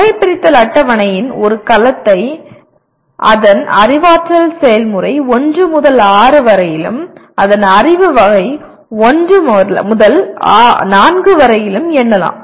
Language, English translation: Tamil, If you look at a cell of the taxonomy table can be numbered by its cognitive process 1 to 6 and its knowledge category 1 to 4